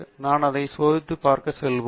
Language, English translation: Tamil, Let us say I want test that